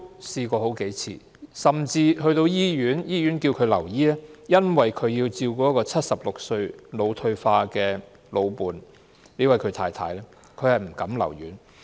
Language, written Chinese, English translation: Cantonese, 甚至醫院要求他留醫，他卻因為要照顧76歲患腦退化症的老伴——他的太太——而不敢留院。, Even though the hospital had asked him to stay he did not dare to do so because he had to take care of his dementia wife